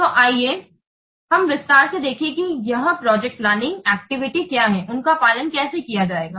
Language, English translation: Hindi, So's see in detail what the, how the activity is a project planning activities they will be followed